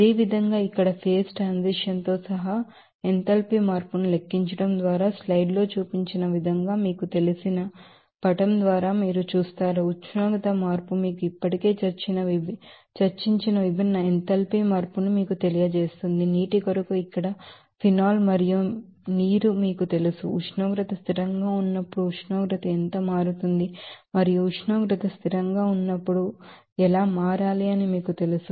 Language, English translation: Telugu, Similarly, calculation of enthalpy change including phase transition here, it is represented by this you know figure as shown in the slide, you will see that how you know temperature change will give you that different enthalpy change that we have already discussed for you know that phenol and water here for water it is shown that how enthalpy change at each different you know temperature and how to be changing whenever temperature is constant